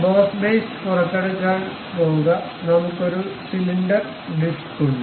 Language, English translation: Malayalam, Go to extrude boss base, we have a cylindrical disc done